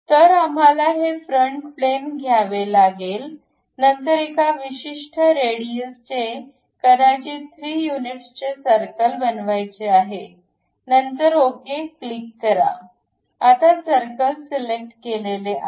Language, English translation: Marathi, So, we have to take that top plane; then make a circle of certain radius, maybe 3 units, then click ok, now circle has been selected